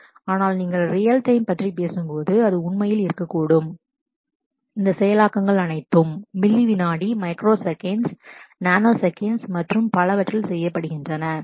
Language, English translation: Tamil, So, but in when you talk about real time, it could really be about getting all these processing done in millisecond, microsecond, nanosecond and so on